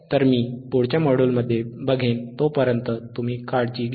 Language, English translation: Marathi, So, till then I will see in the next module, you take care, bye